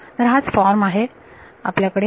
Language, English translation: Marathi, So, this is the form that we have right